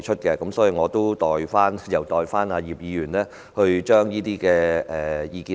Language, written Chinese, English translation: Cantonese, 因此，我會代葉議員提出這些意見。, I will therefore express these views on behalf of Mr IP